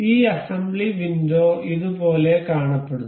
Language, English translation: Malayalam, This assembly thing, the window looks like this